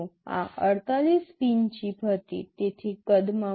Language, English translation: Gujarati, This was a 48 pin chip, so large in size